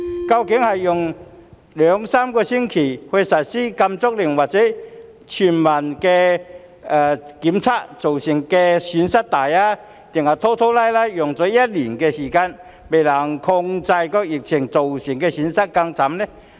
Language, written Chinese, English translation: Cantonese, 究竟是用兩三星期實施禁足令或全民檢測造成的損失大，還是拖拖拉拉用一年時間仍未能控制疫情造成的損失更甚？, Is the loss resulted from a lockdown or universal testing which takes two or three weeks greater than that caused by dragging its feet for a year but still failing to contain the epidemic?